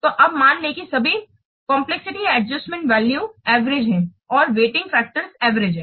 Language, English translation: Hindi, So, and assume that all the complexity adjustment values are average and all the weighting factors are average